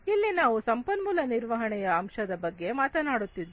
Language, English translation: Kannada, Here we are talking about resource management aspects